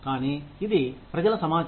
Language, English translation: Telugu, But, it is public information